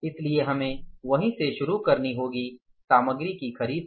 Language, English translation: Hindi, So, we will have to start from there only, material procurement